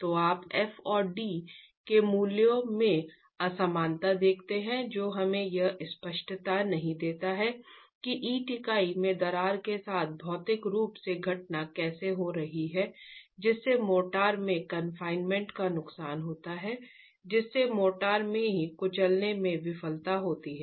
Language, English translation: Hindi, So, you see the disparity in the values of FND which do not give us clarity on how physically the phenomenon is occurring with the cracking in the brick unit leading to loss of confinement in the motor causing crushing failure in the motor itself